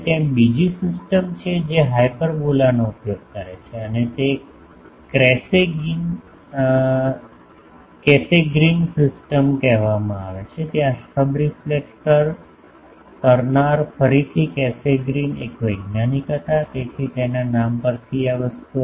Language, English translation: Gujarati, Now there is another system which uses the hyperbola and that is called Cassegrain system this is called Cassegrain system there the subreflector is again Cassegrain was a scientist so, in his name this thing